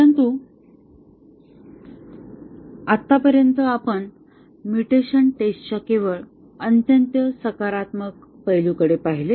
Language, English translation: Marathi, But, so far we looked at only very positive aspects of mutation testing